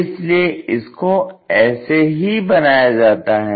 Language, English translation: Hindi, So, how to construct that